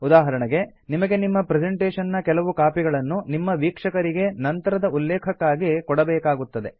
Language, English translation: Kannada, For example, you may want to give copies of your presentation to your audience for later reference